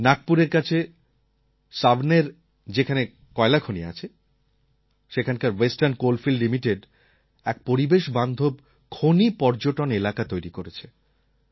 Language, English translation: Bengali, Western Coalfields Limited at Savaner near Nagpur, where there are coal mines, has developed an Ecofriendly MineTourism Circuit